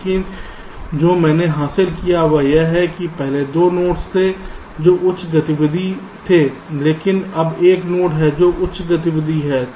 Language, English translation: Hindi, right, but what i have achieved is that earlier there are two nodes that were high activity, but now there is a single node which is high activity, right